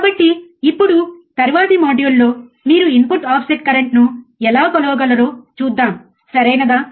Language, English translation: Telugu, So now, in the next module, let us see how you can measure the input offset current, alright